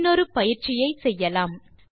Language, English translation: Tamil, Let us do one more exercise